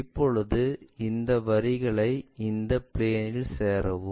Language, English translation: Tamil, Now, join these lines onto that plane